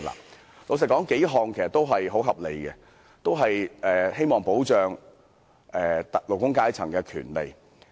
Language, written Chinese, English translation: Cantonese, 坦白說，數項建議也很合理，同樣希望保障勞工階層的權利。, Frankly speaking these amendments are very reasonable and all of them seek to protect the rights of the working class